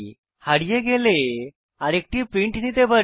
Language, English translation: Bengali, If you lose it, we can always another print out